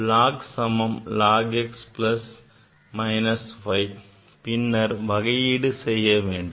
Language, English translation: Tamil, Log q equal to log x plus minus y, then differentiate